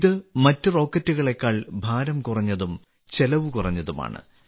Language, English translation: Malayalam, It is also lighter than other rockets, and also cheaper